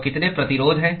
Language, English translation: Hindi, So, how many resistances are there